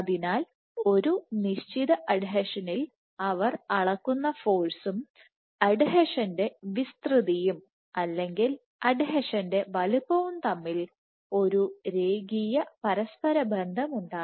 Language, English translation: Malayalam, So, there was a linear correlation between the force that they measured at a given adhesion and the area of this adhesion or the size of this adhesion, this was roughly linear